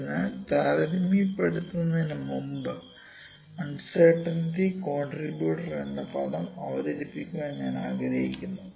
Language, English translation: Malayalam, So, before comparison I like to introduce the term uncertainty contributor, uncertainty contributor